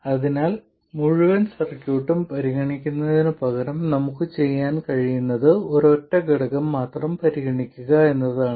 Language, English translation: Malayalam, So instead of considering the whole circuit, what we can do is to just consider a single element